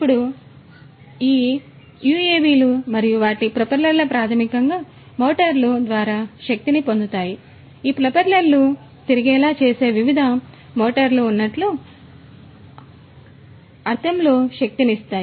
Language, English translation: Telugu, Now, these UAVs and their propellers are basically powered through the motors, powered in the sense like you know there are different motors which make these propellers rotate